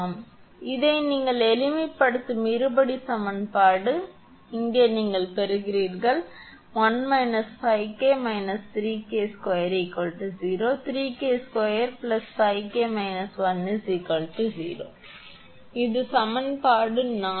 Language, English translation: Tamil, Therefore, this is a quadratic equation you simplify, so you will get 1 minus 5 K minus three K square is equal to 0 or other way I am writing 3 K square plus 5 K minus 1 is equal to 0, this is equation four